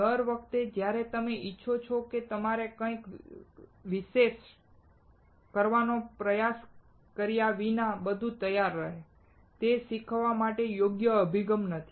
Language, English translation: Gujarati, Every time you wanting everything to be ready without yourself trying to do something about it, is not a correct approach for learning